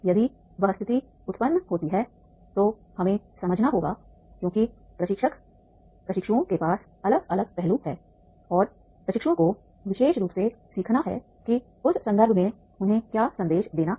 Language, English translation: Hindi, If the situation arises, then we have to understand because the trainer, trainees, they are having the different aspects and trainees especially they have to learn in the what message is to be given to them in that context